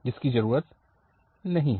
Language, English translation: Hindi, That is not needed